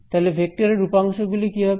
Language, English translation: Bengali, So, what is this vector field